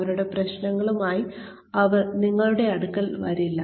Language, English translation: Malayalam, They will not come to you, with their problems